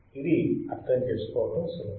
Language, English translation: Telugu, This is easy to understand